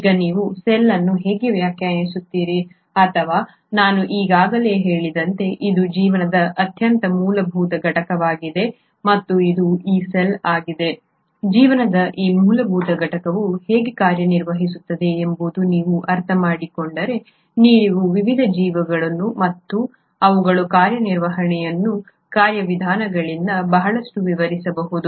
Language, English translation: Kannada, Now how do you define cell; as I just mentioned it is the most fundamental unit of life and it is this cell if you understand how this fundamental unit of life works you can kind of extrapolate a lot to the various organisms and their mechanisms of working